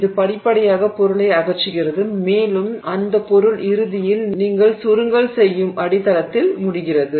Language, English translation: Tamil, It is gradually removing material and that material eventually ends up in the substrate that you are condensing